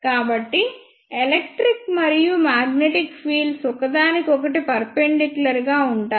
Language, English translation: Telugu, So, electric and magnetic fields are perpendicular to each other